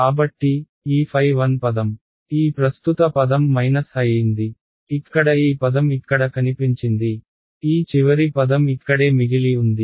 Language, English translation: Telugu, So, phi I became that current term this minus this term over here has appeared over here ok, what is left was this final term over here right